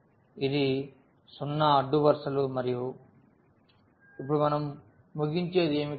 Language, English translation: Telugu, This is the 0 rows and what we conclude now